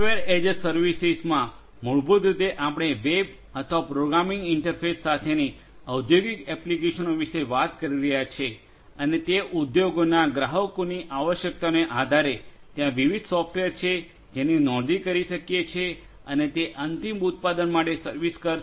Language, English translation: Gujarati, Software as a service basically over here we are talking about industrial applications with web or programming interface and based on the requirements of the industry clients, there are different software that could be used can subscribe to and these will serve for coming up with the final product